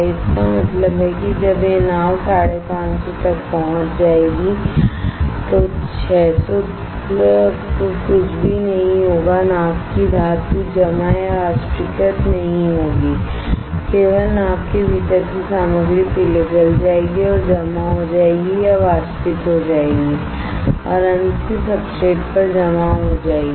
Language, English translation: Hindi, That means, when this boat will reach 550, 600 nothing will happen to the boat metal of the boat will not get deposited or evaporated, only the material within the boat will get melted and gets deposited or gets evaporated and finally, deposited onto the substrate correct